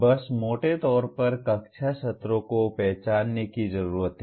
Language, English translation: Hindi, Just roughly the classroom sessions need to be identified